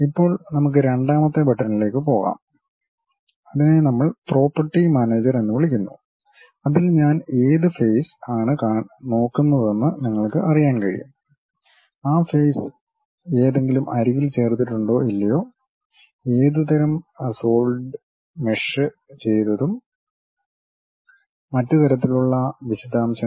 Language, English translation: Malayalam, Now, let us move on to that second button that is what we call property manager In that you will be in a position to know which face I am really looking at, whether that face is added by any edge or not, what kind of solids are have been meshed and other kind of details